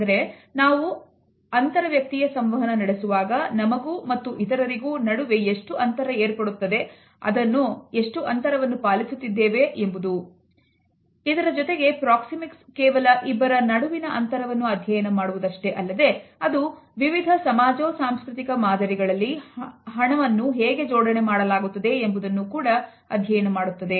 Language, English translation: Kannada, Now, at the same time we find that Proxemics does not only study the distance between the two or more interactants, it also looks at the arrangement of the space in different socio cultural patterns